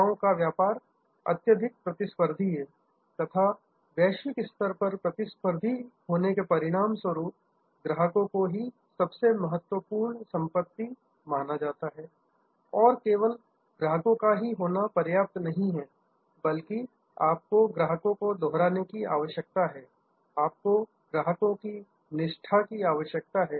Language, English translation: Hindi, As a result in this hyper competitive globally competitive arena of services business, the most important asset is customer and just having customers is not enough, you need to have repeat customers, you need to have customer loyalty